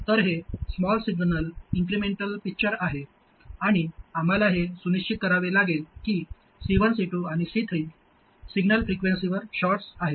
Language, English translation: Marathi, So, this is the small signal incremental picture and we have to make sure that C1, C2 and C3 are shorts at the signal frequencies